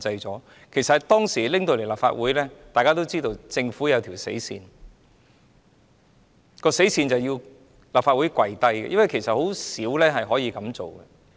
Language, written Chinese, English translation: Cantonese, 當《條例草案》提交立法會大會，大家也知道政府已訂下死線，而這做法是要立法會"跪低"，因為甚少情況是會這樣做的。, We all know that when the Bill was submitted to the meeting of the Legislative Council the Government had set a deadline . That arrangement meant to force the Legislative Council to fall to its knees to compromise for such practice had seldom been used before